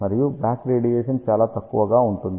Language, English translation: Telugu, And the back radiation is relatively small